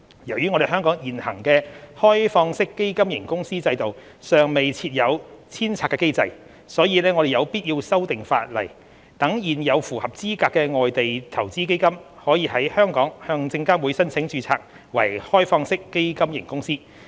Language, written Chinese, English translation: Cantonese, 由於香港現行的開放式基金型公司制度尚未設有遷冊機制，所以我們有必要修訂法例，讓現有符合資格的外地投資基金，可在香港向證監會申請註冊為開放式基金型公司。, In the absence of a re - domiciliation mechanism under the existing OFC regime in Hong Kong it is necessary for us to amend the laws to enable existing foreign investment funds which are eligible to apply for registration with the Securities and Futures Commission as OFCs